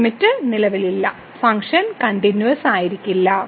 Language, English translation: Malayalam, Hence, this limit does not exist and the function is not continuous